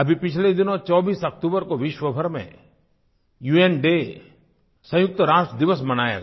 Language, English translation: Hindi, United Nations Day was observed recently all over the world on the 24th of October